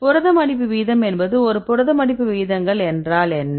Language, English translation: Tamil, Protein folding rate right what is a protein folding rates